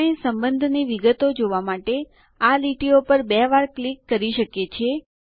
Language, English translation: Gujarati, We can double click on the lines to see the relationship details